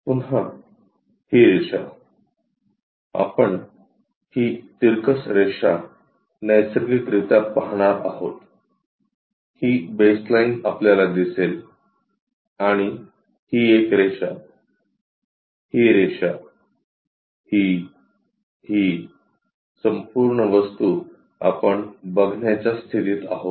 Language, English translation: Marathi, Again, this line, we will see on this incline thing naturally, we will see this baseline also and this one we will be in a portion to see, this line, this, this entire thing